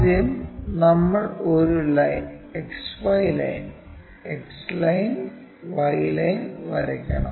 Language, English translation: Malayalam, First thing, we have to draw a XY line, X line, Y line